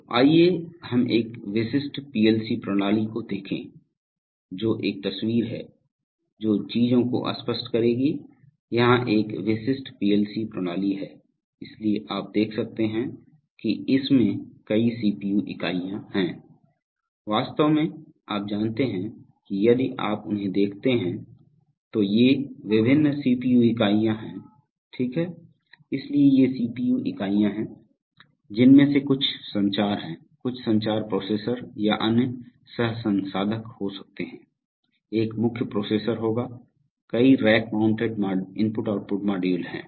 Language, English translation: Hindi, So let us look at a typical PLC system a picture which will clarify the things, so here is a typical PLC system, so you can see that it contains multiple CPU units, actually, you know these are, if you look at them, that, these are the various CPU units okay, so these are the CPU units some of them are communication, some of them could be communication processors or other coprocessors, one of them will be the main processor, there are a number of rack mounted I/O modules